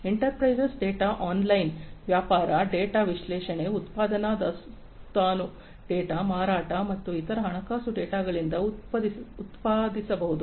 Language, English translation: Kannada, Enterprise data can be generated, are generated from online trading, data analysis, production inventory data, sales and different other financial data